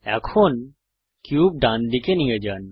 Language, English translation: Bengali, Now lets move the cube to the right